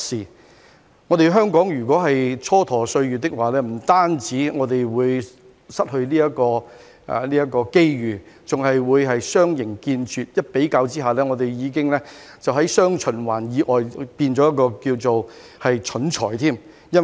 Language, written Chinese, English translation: Cantonese, 如果香港蹉跎歲月，不但會失去這個機遇，還會相形見拙，相比之下已經在"雙循環"以外變成一個"蠢才"。, If Hong Kong idles its time away we will not only miss this opportunity but will also pale in comparison with others and become a fool left outside the dual circulation